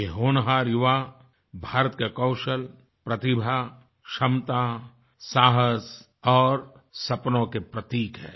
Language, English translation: Hindi, These promising youngsters symbolise India's skill, talent, ability, courage and dreams